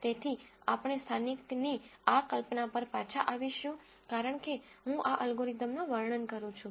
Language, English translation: Gujarati, So, we will come back to this notion of local as I describe this algorithm